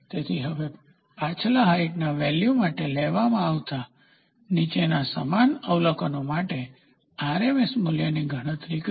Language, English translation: Gujarati, So, now, calculate the RMS value for a height for the following same observations taken for height values in the previous question